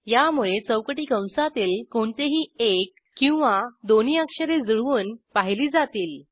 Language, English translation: Marathi, This is to match any one or both of the characters within square brackets